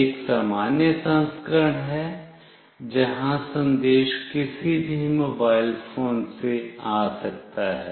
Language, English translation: Hindi, One is a normal version, where the message can come from any mobile phone